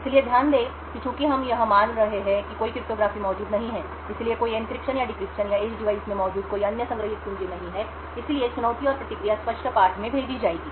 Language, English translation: Hindi, So note that since we are assuming that there is no cryptography present, there is no encryption or decryption or any other stored keys present in the edge device therefore, the challenge and the response would be sent in clear text